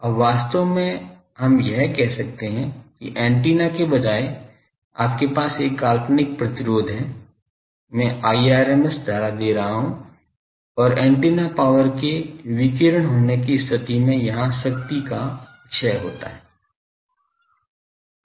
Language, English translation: Hindi, Now, actually we can say that as if instead of an antenna you have a fix fictitious resistance, I am giving I rms current and power is dissipated here in case of antenna power is radiated